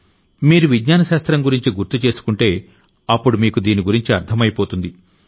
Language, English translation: Telugu, If you remember the study of science, you will understand its meaning